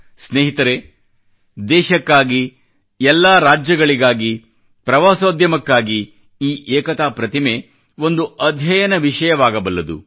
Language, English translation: Kannada, Friends, for our nation and the constituent states, as well as for the tourism industry, this 'Statue of Unity' can be a subject of research